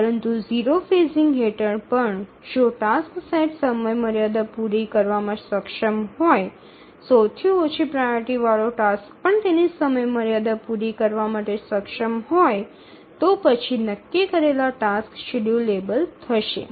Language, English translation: Gujarati, But even under zero phasing, if the task set is able to meet the respective deadlines, even the lowest tasks, lowest priority tasks are able to meet their deadlines, then the tasks set will be schedulable